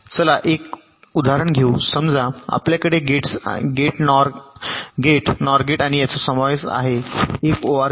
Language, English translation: Marathi, suppose we have a simple example consisting of three gates and gate, nor gate and an or gate